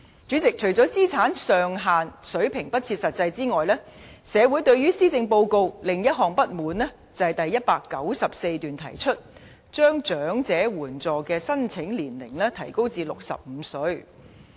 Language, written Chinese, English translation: Cantonese, 主席，除了資產上限水平不切實際外，社會對施政報告的另一項不滿，是第194段提出將領取長者綜援的合資格年齡提高至65歲。, President apart from this unrealistic asset limit the community is also dissatisfied with another measure introduced in the Policy Address that is the proposal to raise the eligible age for elderly CSSA to 65 introduced in paragraph 194